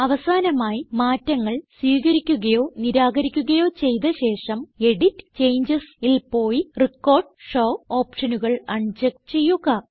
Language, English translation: Malayalam, Finally, after accepting or rejecting changes, we should go to EDIT gtgt CHANGES and uncheck Record and Show options